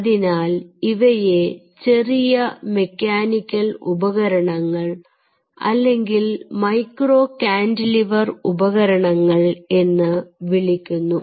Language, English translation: Malayalam, so then these are called a small mechanical devices or micro cantilever devices